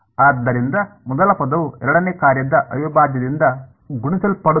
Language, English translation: Kannada, So, first term multiplied by integral of the second function right